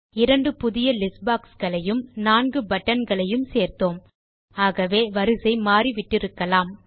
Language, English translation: Tamil, But since we removed a couple of text boxes, and added two new list boxes and four buttons, we may have mixed up the tab order